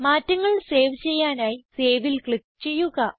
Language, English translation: Malayalam, Now, Click on Save to save the changes